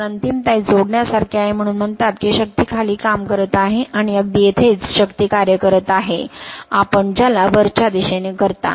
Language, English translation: Marathi, So, finality it is additive that is why it is you are what you call force is acting downwards, and just opposite here the force is acting you are what you call upwards right